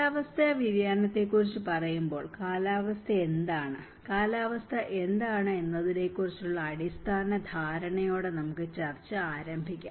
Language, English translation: Malayalam, When we say about climate change, I think let us start our discussion with the basic understanding on of what is climate, what is weather